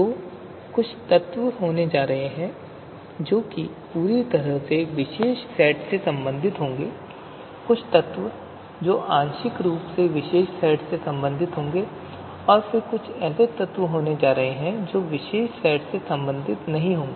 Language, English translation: Hindi, So there are going to be there are going to be few elements which would completely belong to the particular set and there are going to be elements which are going to be partially belonging to the particular set